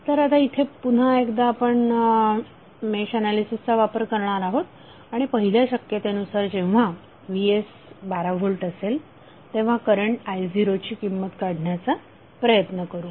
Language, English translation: Marathi, So here we will apply match analysis again and try to find out the current value I0 in first case that is when Vs is equal to 12 volt